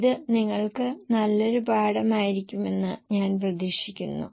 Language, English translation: Malayalam, I hope this would have been a good learning to you